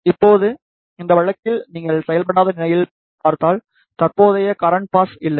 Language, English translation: Tamil, Now, if you see in this case in unactuated state there is no current pass